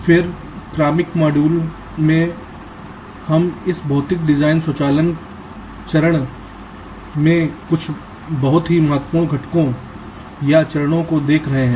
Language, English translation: Hindi, then in the successive modules we shall be looking at some of the very important components or steps in this physical design automations step